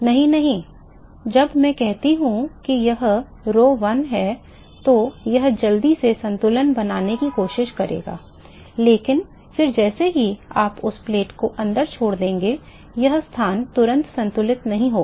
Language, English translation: Hindi, No, no see, when I say it is rho 1 it will try to quickly equilibrate, but then as soon as you drop that plate inside, not every location is going to equilibrate immediately